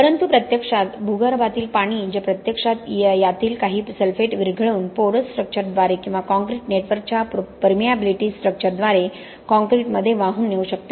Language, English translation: Marathi, But in reality when there is ground water present it can actually dissolves some of these sulphates and carry it into the concrete through the porous structure or the permeable structure of the concrete network